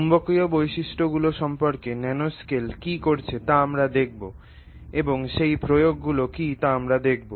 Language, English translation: Bengali, We will look at what is the nanoscale doing with respect to magnetic properties